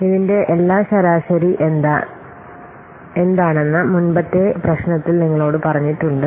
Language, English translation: Malayalam, In my previous problem I have already told you that these are all what average